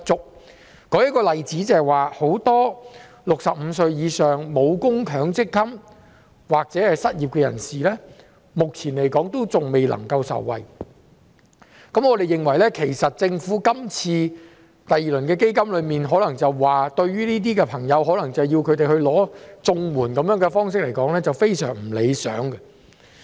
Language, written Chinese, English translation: Cantonese, 我舉一個例子，很多65歲以上、沒有供強制性公積金或正在失業的人士，目前仍然無法受惠，對於政府今次推出第二輪防疫抗疫基金，以及要求這些朋友申請綜援的說法，我認為是非常不理想的。, For example many people over 65 without making any Mandatory Provident Fund MPF contributions and the unemployed are still unable to benefit . I find it most undesirable that these people are told to apply for the Comprehensive Social Security Assistance CSSA despite the Governments introduction of the second round of AEF